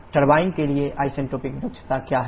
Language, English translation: Hindi, What is isentropic efficiency for the turbine